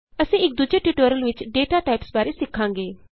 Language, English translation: Punjabi, We will learn about data types in another tutorial